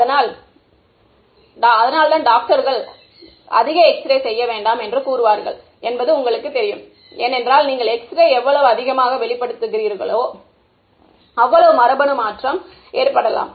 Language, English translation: Tamil, So, that is why doctors will say do not get too many X rays done you know you know given period of time, because the more you expose to X rays the more the genetic mutation can happen